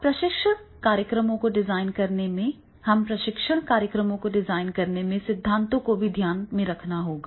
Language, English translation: Hindi, Now in designing the training programs we have to also take into consideration the theories in designing the training programs